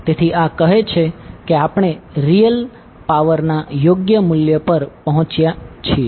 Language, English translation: Gujarati, So this says that we have arrived at the correct value of real power